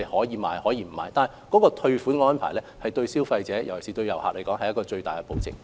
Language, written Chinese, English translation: Cantonese, 然而，退款及退貨的安排對於消費者，尤其是對旅客來說，是最大的保證。, That said putting in place a refund and return system is a good guarantee provided for consumers tourists in particular